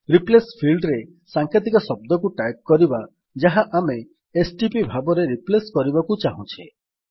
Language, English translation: Odia, Now in the Replace field let us type the abbreviation which we want to replace as stp